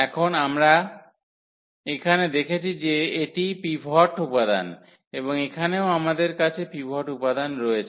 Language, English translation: Bengali, And now, we observe here that this is the pivot element and here also we have the pivot element